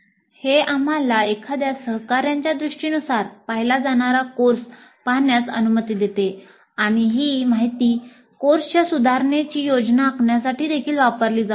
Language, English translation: Marathi, This allows us to see the course as seen through the IFA colleague and this information can also be used to plan the improvements for the course